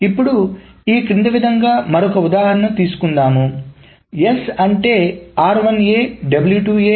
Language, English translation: Telugu, Now let us take another example, which is the following